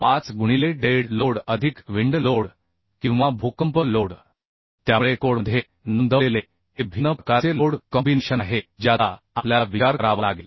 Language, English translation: Marathi, 2 into dead load plus live load plus wind load or earthquake load either wind load or earthquake load we are providing so this is one sort of load combination Another load combination is say 1